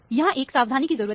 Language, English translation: Hindi, That is a caution one need to do